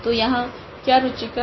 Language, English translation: Hindi, So, here and what is interesting